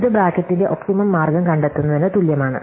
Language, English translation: Malayalam, And this is equivalent to finding an optimum way of bracketing